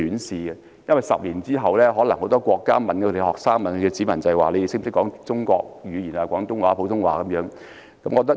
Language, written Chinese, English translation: Cantonese, 十年後，很多國家的學生、國民也可能會被問到能否說廣東話、普通話等中國語言。, Ten years from now students and nationals of many countries will possibly ask if they can speak such Chinese languages as Cantonese and Putonghua